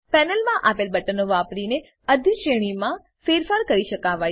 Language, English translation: Gujarati, Hierarchy can be modified using the buttons given in the panel